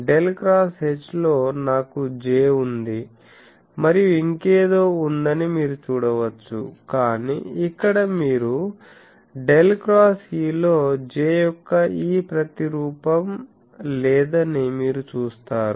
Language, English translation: Telugu, You can see that in Del cross H, I have a J and there is something else, but here you see that in Del cross E, I do not have this counterpart of J